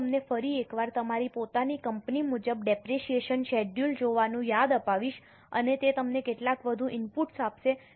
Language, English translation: Gujarati, I will once again remind you to look at the depreciation schedule as per your own company and that will give you some more inputs